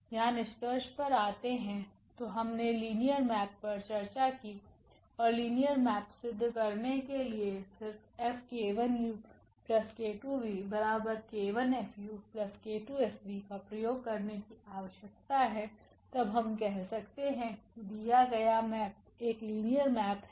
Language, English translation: Hindi, Coming to the conclusion here; so, we have discussed the linear map and to prove the linear map we just need to apply this F on this k 1 u plus k 2 v and if we get the k 1 F u plus k 2 F v then we call that the given map is the linear map